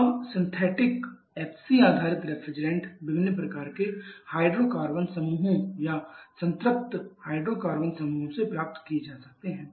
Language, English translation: Hindi, Now synthetic FC refrigerants can be derived from different kinds of hydrocarbon groups of saturated hydrocarbon groups